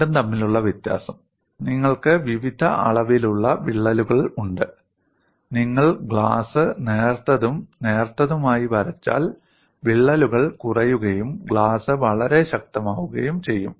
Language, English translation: Malayalam, The difference between the two is, you have cracks of various dimensions exist, and if you draw the glass thinner and thinner the cracks diminish and glass becomes very strong